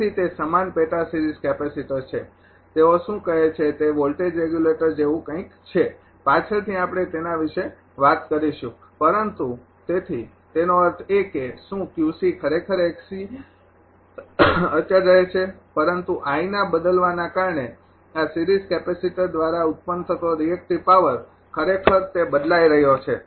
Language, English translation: Gujarati, So, it is analogous sub series capacitor they say what that ah it is something like a voltage regulator later little bit we will talk about that, but so; that means, is Q c actually x c remain constant, but because of changing I that reactive power generated by this series capacitor actually it is changing